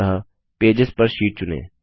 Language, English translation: Hindi, So, select Pages per sheet